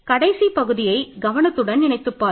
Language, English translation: Tamil, So, please think about this last part carefully